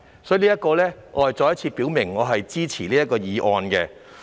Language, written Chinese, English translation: Cantonese, 所以，我再次表明我支持通過《條例草案》。, Therefore I once again express my support for the passage of the Bill